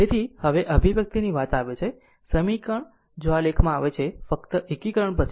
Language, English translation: Gujarati, So, if you if you come to now this expression, this equation if you come to this equation we are writing now after you just do the integration